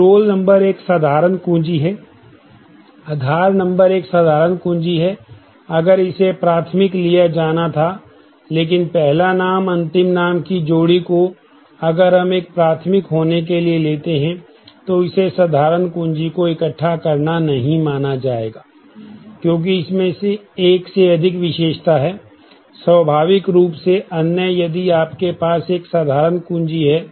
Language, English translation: Hindi, So, roll number is a simple key, Aadhaar numbered is a simple key, if it were taken to be primary, but first name last name pair, if we take that to be a primary that will not be considered assemble simple key, because it has more than one attribute naturally the other, if you have a simple key